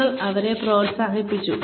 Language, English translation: Malayalam, You have encouraged them